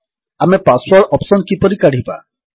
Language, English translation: Odia, How do we remove the password option